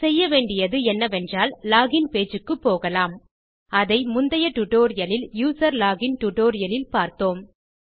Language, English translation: Tamil, The way we do this is, we go back to our login page, which we covered in the previous tutorial the userlogin tutorial